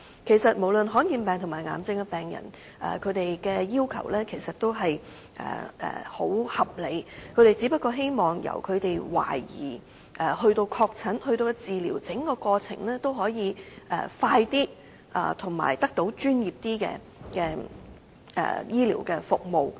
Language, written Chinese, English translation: Cantonese, 事實上，罕見疾病和癌症患者的要求也相當合理，他們只希望由懷疑染病、確診至治療的整個過程可以加快，並且得到較專業的醫療服務。, In fact the demands of rare disease and cancer patients are quite reasonable . They only hope that the entire process from suspected diagnosis confirmed diagnosis to treatment can be expedited and they can be given more professional medical services